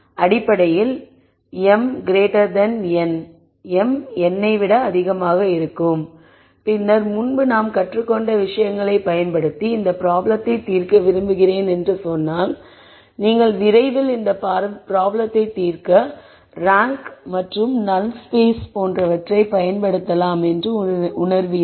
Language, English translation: Tamil, So, basically m is greater than n and then if you want to use things that we have learned before to come back and say I want to solve this problem using things that I have learned, you would quickly realize that we can use the notion of rank and null space to solve this problem and why is it that we can use the notion of rank a null space to solve the problem